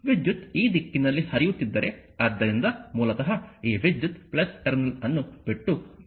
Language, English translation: Kannada, If current is flowing this direction, so basically this current entering to the minus terminal leaving the plus terminal